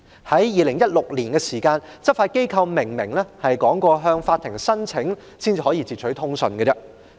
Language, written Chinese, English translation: Cantonese, 在2016年，執法機構明言要先向法庭申請，才可截取通訊。, In 2016 it was stated clearly that law enforcement agencies had to make a prior application to the Court for interception of communications